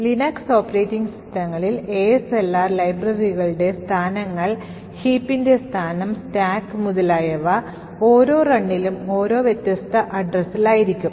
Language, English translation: Malayalam, In the Linux operating systems ASLR would randomize the locations of libraries, the location of the heap, the stack and so on with each run of the application